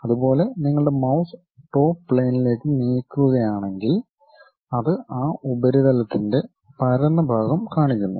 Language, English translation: Malayalam, Similarly, if you are moving your mouse on to Top Plane, it shows flat section of that surface